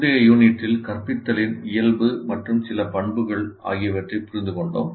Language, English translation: Tamil, In our earlier unit, we understood the nature and some of the characteristics of instruction